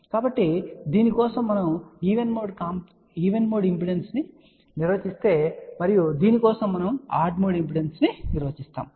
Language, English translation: Telugu, So, for this if we define even mode impedance and for this we define odd mode impedance